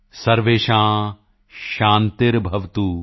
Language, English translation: Punjabi, Sarvesham Shanti Bhavatu